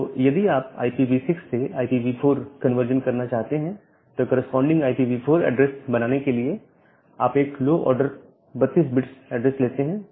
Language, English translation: Hindi, So, to make this conversion if you want to make a conversion from IPv6 to IPv4 then, you take the low order 32 bit address to make the corresponding IPv4 address